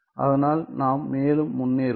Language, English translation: Tamil, So, then let us move ahead